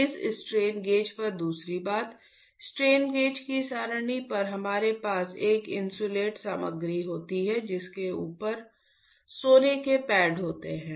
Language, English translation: Hindi, Second thing on this strain gauge; on the array of the strain gauges we have an insulating material over which there are gold pads